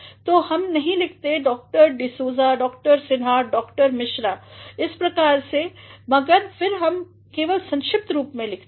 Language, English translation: Hindi, So, we do not write doctor D’Souza, doctor Sinha, doctor Mishra like that, but then we simply write the abbreviated form